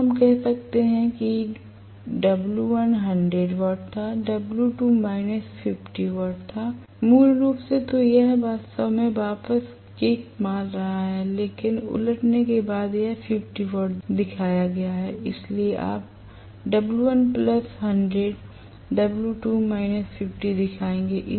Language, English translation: Hindi, So, let us say W1 was 100 watts, W2 was minus 50 watts, originally, so it was actually showing kicking back but after reversing it has shown 50 watts, so you will show W1 as plus 100 watts W2 as minus 50 watts is that clear